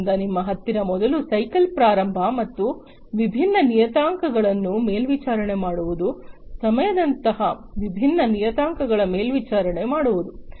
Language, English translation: Kannada, So, you have first of all the starting of the cycle and monitoring different parameters; monitoring different parameters such as time etc